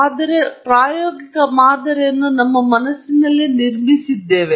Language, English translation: Kannada, We are building an empirical model